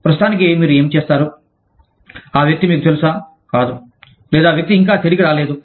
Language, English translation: Telugu, What would you do for the time, that the person is, you know, not on, or, the person is, has not yet come back